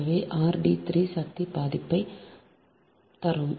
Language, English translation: Tamil, so r dash d three to the power, half, right